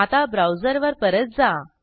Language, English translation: Marathi, Come back to the browser